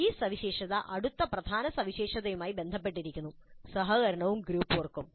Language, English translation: Malayalam, This feature ties in neatly with the next key feature which is collaboration and group work